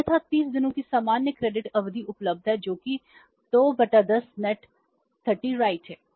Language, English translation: Hindi, Otherwise normal credit period of 30 days is available that is 2 by 10 net 30